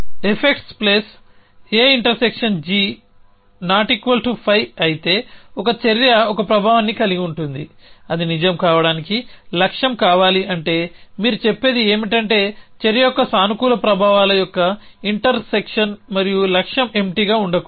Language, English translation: Telugu, If you the effects plus of A and g is not equal to 5 that an action has a effect which is required in the goal to be true which mean so what you have simply saying is that the inter section of the positive effects of the action and goal must not be empty